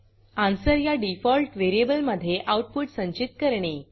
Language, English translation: Marathi, Store the result in the default variable ans